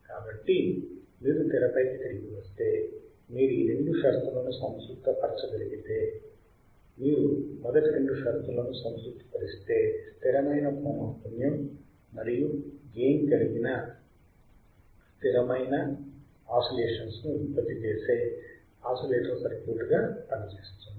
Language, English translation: Telugu, So, if you come back on the screen what you see is that if you can satisfy this both the conditions, if you satisfy first two condition, then the circuit works as an oscillator producing a sustained oscillations of cost constant frequency and amplitude